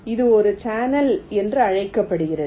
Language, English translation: Tamil, this is called a channel